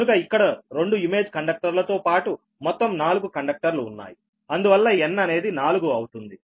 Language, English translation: Telugu, so here four conductors are there, including two image conductors, so n is four, right